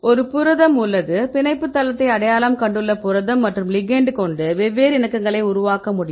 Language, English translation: Tamil, So, now, we have the protein, the protein we identified the binding site and we have a ligand, ligand we can also generate different conformations